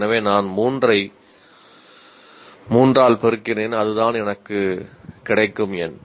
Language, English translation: Tamil, So I multiply it by 3 by 3 and that is the number that I get